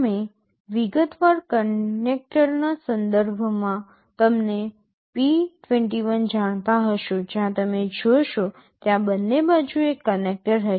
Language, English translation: Gujarati, You will know p 21 with respect to the detailed connector where you see there will be one connector on either side